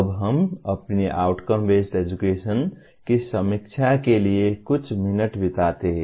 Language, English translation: Hindi, Now we spend a few minutes to review the our Outcome Based Education